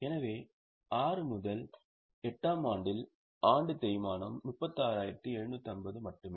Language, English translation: Tamil, So, in year 6 to 8 the annual depreciation is only 36,000 750